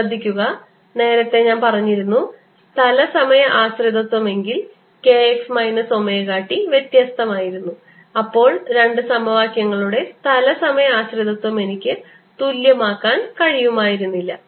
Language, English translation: Malayalam, notice that ah, earlier i had said if the space time dependence that means k x minus omega t was different, then i could not have equated this space and time dependence of the two more explicitly